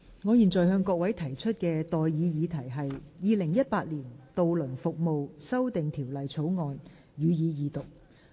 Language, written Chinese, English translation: Cantonese, 我現在向各位提出的待議議題是：《2018年渡輪服務條例草案》，予以二讀。, I now propose the question to you and that is That the Ferry Services Amendment Bill 2018 be read the Second time